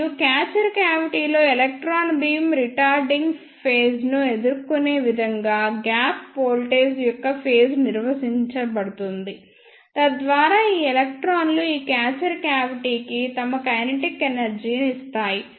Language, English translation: Telugu, And in the catcher cavity, the face of the gap voltage is maintained such that the electron beam encounter the retarding phase, so that these electrons gives their kinetic energy to this catcher cavity